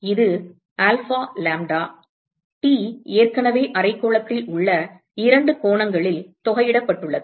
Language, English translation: Tamil, It is alpha lambda,T is already integrated over the two angles in the hemisphere right